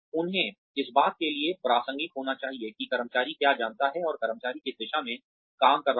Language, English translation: Hindi, They should be relevant to, what the employee knows, and what the employee is working towards